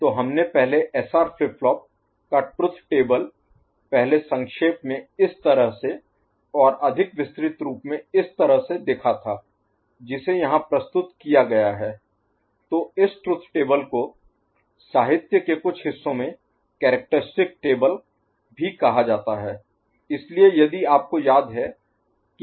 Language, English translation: Hindi, So, truth table of SR flip flop we had seen before in a compact form like this and more elaborate form which can be represented here ok, so this truth table is also called characteristic table in some of the literature